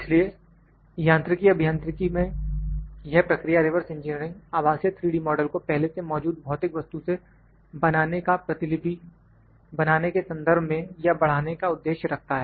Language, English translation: Hindi, So, in mechanical engineering this process reverse engineering aims to create virtual 3D model from an existing physical object in order to duplicate or in to enhance it